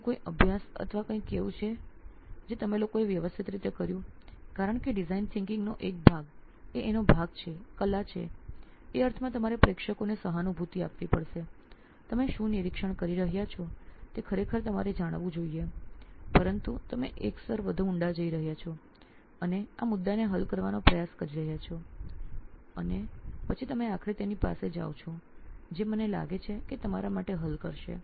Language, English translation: Gujarati, Is there any study or anything that you guys did systematically so because design thinking is one part of it is art in the sense that you have to empathize with the audience, you have to really get to know what you are observing but you are going a level deeper and then you are trying to solve that issue and then you are finally going back to them this is what I think will solve it for you